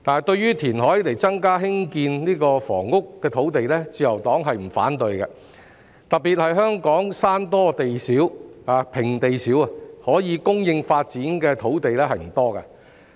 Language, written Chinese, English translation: Cantonese, 對於以填海增加興建房屋的土地，自由黨並不反對，特別是香港山多平地少，可供發展的土地不多。, The Liberal Party does not object to providing additional land for housing construction by reclamation . In particular there is limited flat land in Hong Kong due to its hilly terrain hence not much land is available for development